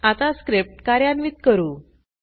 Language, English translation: Marathi, Now let us execute the script